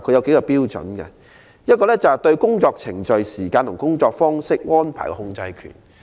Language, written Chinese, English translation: Cantonese, 第一，誰人對工作程序、時間及工作方式安排擁有控制權。, Firstly who is having control over work procedures working time and method?